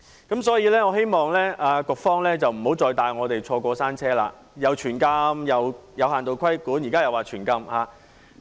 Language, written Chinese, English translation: Cantonese, 因此，我希望局方不要再帶我們"坐過山車"，又說"全禁"、又說"有限度規管"，現時又再說"全禁"。, Therefore I hope that the Administration will not take us to ride the roller - coaster by proposing a total ban in the beginning and then turning to partial regulation afterwards and now proposing a total ban again